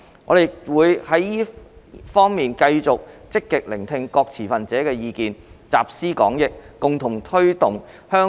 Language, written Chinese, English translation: Cantonese, 我們亦會在這方面繼續積極聽取各持份者的意見，集思廣益，共同推動香港的創科發展。, We will continue to listen actively to the views of various stakeholders in this regard and pool our wisdom to promote the IT development in Hong Kong